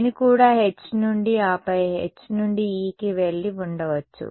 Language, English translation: Telugu, I could have also gone from H and then from H to E